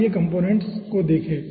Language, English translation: Hindi, let us see the component